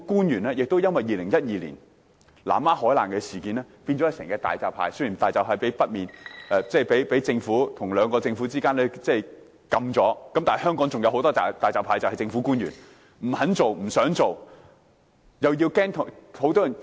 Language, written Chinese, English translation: Cantonese, 而且，因為2012年的南丫海難事件，政府官員都變成"大閘蟹"一樣——雖然大閘蟹被兩個政府禁制了，但香港還有很多"大閘蟹"，便是政府官員——他們不肯做、不想做，又怕要交代。, Moreover since the Lamma ferry disaster in 2012 government officials have become hairy crabs―though hairy crabs have been banned by two governments yet there are still many hairy carbs in Hong Kong and they are government officials . They are unwilling and reluctant to do anything for fear that they have to explain their case